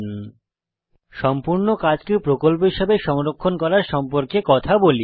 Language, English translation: Bengali, Now is a good time to talk about saving the entire work as a project